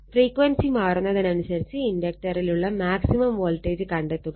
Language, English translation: Malayalam, Find the maximum voltage across the inductor as the frequency is varied